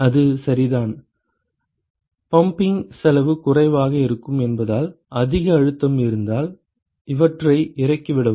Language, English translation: Tamil, That is correct – because the pumping cost is going to be minimal, if you have high pressure drop these